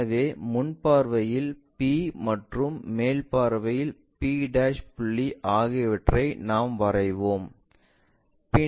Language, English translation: Tamil, So, P point in the top view p' point in the front view, we will draw